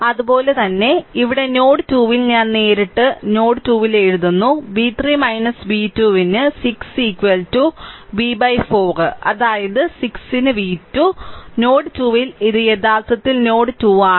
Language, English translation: Malayalam, Similarly at node 2 here directly I am writing at node 2 the v 3 minus v 2 upon 6 is equal to v by 4 that is v 2 upon 6; that means, at node 2 this is actually ah this is actually node 2 right this is node 2